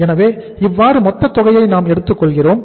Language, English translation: Tamil, So we are taking the total amount